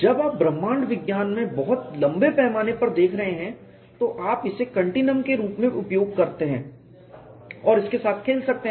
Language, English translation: Hindi, When you are looking at a very long scale in cosmology, you can use it as a continuum and play with it